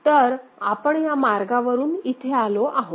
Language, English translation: Marathi, So, we are following this path